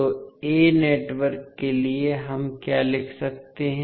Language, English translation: Hindi, So, what we can write for network a